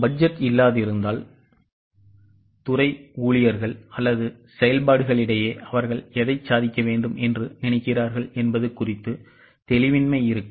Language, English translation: Tamil, In absence of budget, there will be lack of clarity amongst the departments, employees or functions as to what exactly they are supposed to achieve